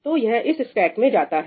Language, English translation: Hindi, So, this is pretty much what goes into this stack